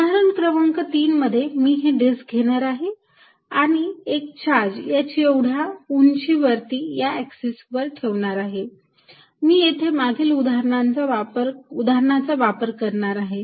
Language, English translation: Marathi, In example number 3, I am going to take this disc and put a charge at height h on the axis, I am going to use the result of previous example